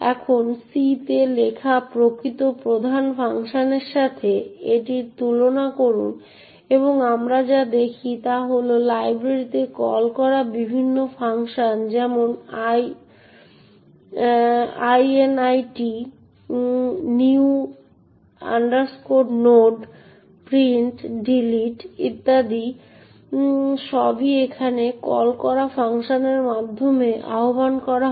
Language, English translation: Bengali, Now, compare this with the actual main function written in C and what we see is that the various function calls to the library like init, new node, print, delete and so on are all invoked over here through the called function